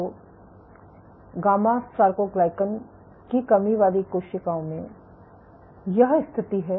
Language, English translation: Hindi, So, this is the status in gamma soarcoglycan deficient cells